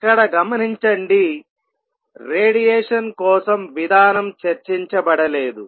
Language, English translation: Telugu, Notice in all this the mechanism for radiation has not been discussed